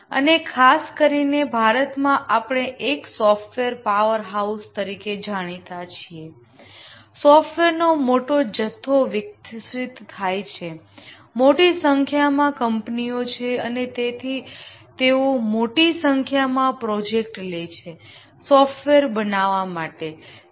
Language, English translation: Gujarati, We encounter software in many places and especially in India, we are known as a software powerhouse, huge amount of software gets developed, large number of companies and they undertake large number of projects to develop software